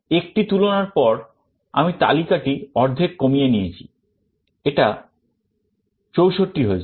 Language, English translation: Bengali, After one comparison I reduce the list to half, it becomes 64